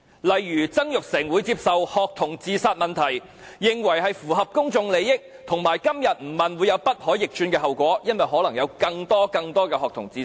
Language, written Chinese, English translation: Cantonese, 例如曾鈺成會認為，關於學童自殺問題的質詢符合公眾利益，以及今天不提出質詢，便會有不可逆轉的後果，因為可能會有更多、更多學童自殺。, Mr Jasper TSANG for example would think that the question on student suicides is in line with public interests and that if this question cannot be raised today there might be irreversible consequences as more students might commit suicide